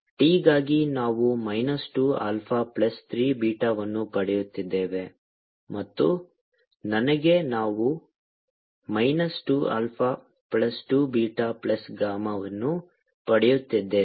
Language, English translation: Kannada, for t we are getting minus two alpha plus three beta, and for i we are getting minus two alpha plus two beta plus two gamma